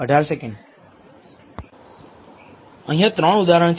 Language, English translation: Gujarati, Here are 3 examples